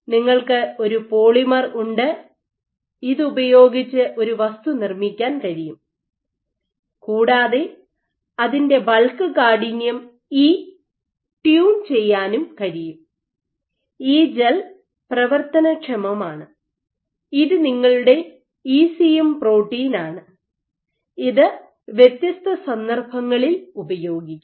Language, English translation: Malayalam, So, thus you have a polymer where you can measure you make a material it whose bulk stiffness E you can tune and this gel is typically functionalized this is your ECM protein of choice so that you can make it relevant to different contexts